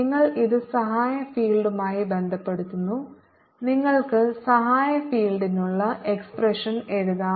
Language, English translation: Malayalam, so when you relate it with the auxiliary field h, you can write down the expression for the auxiliary field